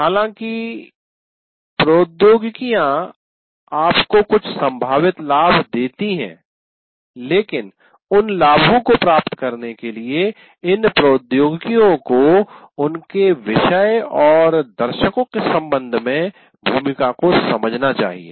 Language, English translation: Hindi, While technologies give you certain potential advantages, but to get those advantages, you have to understand the role of these technologies with respect to your particular subject and to your audience